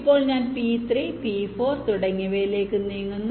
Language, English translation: Malayalam, then i move to p three, p four and so on